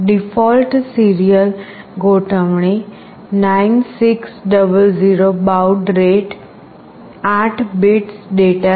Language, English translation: Gujarati, The default serial configuration is 9600 baud rate an 8 bits